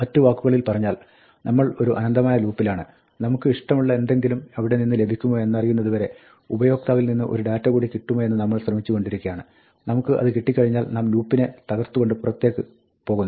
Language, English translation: Malayalam, In other words, we are in an infinite loop, where we keep on trying to get one more piece of data from the user, until we get something that we like and when we get that, we break out of the loop